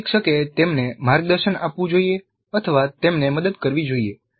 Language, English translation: Gujarati, So instructor must guide them, instructor must help them